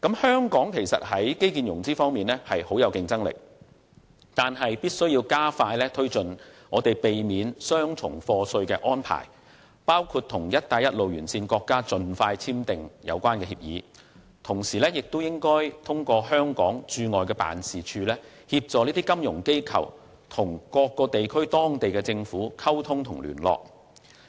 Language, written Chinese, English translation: Cantonese, 香港在基建融資方面具有相當競爭力，但必須加快推進避免雙重課稅的安排，包括盡快與"一帶一路"沿線國家簽訂有關協議，亦應通過香港駐外經濟貿易辦事處，協助金融機構與當地政府溝通和聯絡。, While Hong Kong is very competitive in infrastructure financing it is imperative to expeditiously bring forward arrangements for the avoidance of double taxation which include the signing of relevant agreements with countries along the Belt and Road as soon as possible and facilitating the communication and liaison of our financial institutions with the local governments through various Economic and Trade Offices